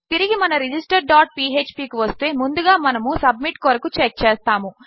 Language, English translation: Telugu, Back to our register dot php and first of all we will check for submit